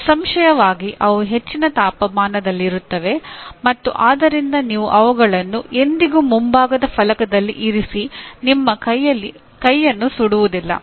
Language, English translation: Kannada, Obviously they will be at high temperature and then you never put them on the front panel and burn your hand